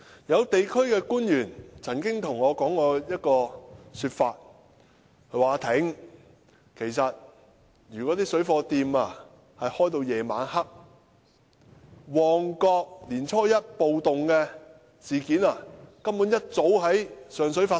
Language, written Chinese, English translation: Cantonese, 有地區官員曾對我說："'阿廷'，如果水貨店營業至晚上，旺角年初一的暴動事件，一早便已經在上水發生"。, Some district officials once said to me Ah Ting if shops selling parallel goods operated until late at night riots similar to the one that happened in Mong Kok on the first day of the Lunar New Year would have happened in Sheung Shui long ago